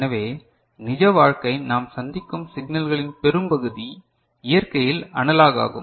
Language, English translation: Tamil, So, the most of the real life signal, that we encounter are in, are analog in nature